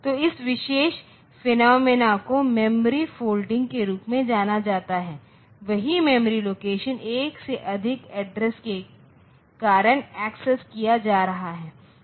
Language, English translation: Hindi, So, this particular phenomena is known as memory folding this is known as memory folding, that is the same memory location is being accessed because of by more than one address